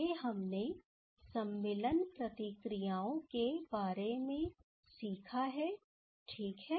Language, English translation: Hindi, Next we have learned about insertion reactions ok